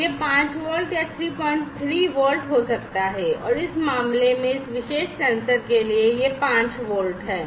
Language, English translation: Hindi, 3 volts in this case for this particular sensor it is 5 volts